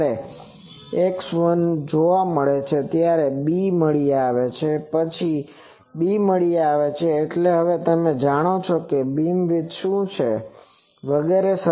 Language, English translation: Gujarati, The moment x 1 is found, a b is found then the constants a b found means you now know so, what is the beam width etc